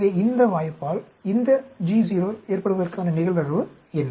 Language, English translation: Tamil, So, what is the probability of this GO occurrence by this chance